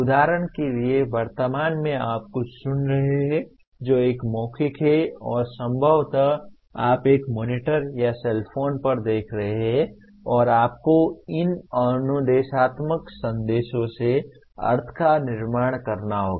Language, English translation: Hindi, For example at present you are listening to something which is a verbal and possibly you are seeing on a monitor or a cellphone and you have to construct meaning from those instructional messages